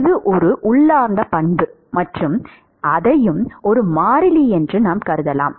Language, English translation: Tamil, It is an intrinsic property and we can assume that also as a constant